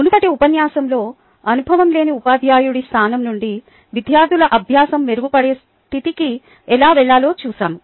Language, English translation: Telugu, in the previous lecture we saw how to go from an inexperienced teachers position to a position where the learning of students could be improved